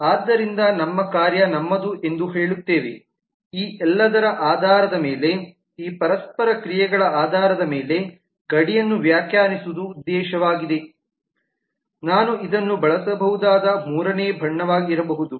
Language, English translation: Kannada, so we will say that our task our objective is to define the boundary based on these interactions based on all these what else could be a third colour that i might use maybe this one